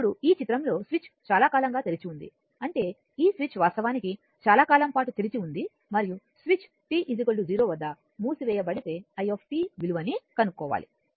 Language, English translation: Telugu, Now in this figure the switch has been open for a long time; that means, this switch actually was open for a long time and your what you call and if the switch is closed at t is equal to 0 determine i t